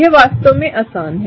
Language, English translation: Hindi, That’s really easy